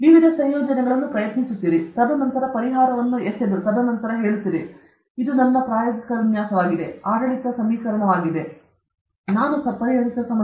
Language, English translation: Kannada, You try various combinations, and then, throwing up of the solution, and then, you say: this will be my experimental design; this will be the governing equation; this will be the problem I will solve